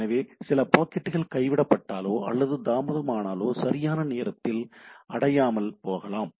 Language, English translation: Tamil, So, once some packet may get dropped or delayed may not reach the things on time or even may not reach at all